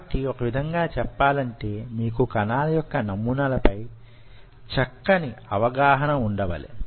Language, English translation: Telugu, so in a way, you have to have a fairly good idea about cell patterning